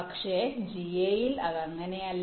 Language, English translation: Malayalam, but in ga it is not like that